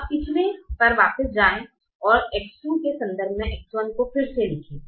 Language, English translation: Hindi, now go back to the previous one and rewrite x one in terms of x two